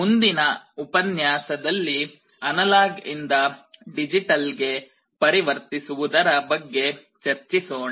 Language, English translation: Kannada, In the next lecture, we shall be starting our discussion on the reverse, analog to digital conversion